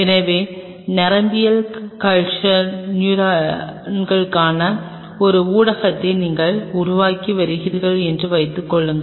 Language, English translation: Tamil, So, that means suppose you are working on developing a medium for neural culture neurons right